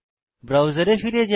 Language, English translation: Bengali, So, switch back to the browser